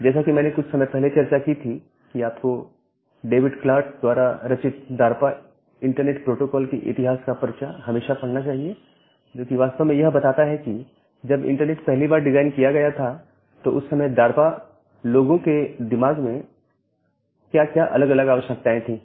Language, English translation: Hindi, So, as I have discussed some time back that, you should always read the paper of the history of DARPA internet protocol by, David Clark which actually talks about, the different requirements which where there in the mind of the DARPA people, when the internet was first designed